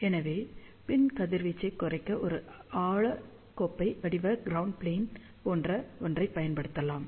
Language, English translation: Tamil, So, to reduce the back radiation, one can use something like a shallow cup shaped ground plane